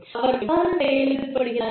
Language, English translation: Tamil, They should know, how they are working